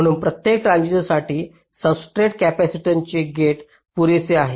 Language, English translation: Marathi, so for every transistor the gate to substrate capacitance is quite substantial